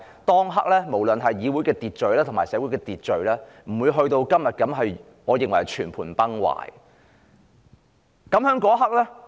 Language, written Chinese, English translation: Cantonese, 當時議會或社會的秩序還未發展至現時我認為是全盤崩壞的情況。, At that time the legislature as well as our society had yet to see as I put it a complete meltdown of order as we are seeing today